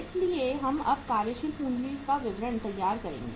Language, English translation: Hindi, So we will prepare now the statement of working capital requirements